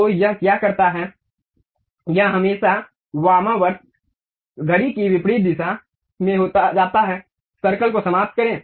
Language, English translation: Hindi, So, what it does is it always goes in the counter clockwise direction, finish the circle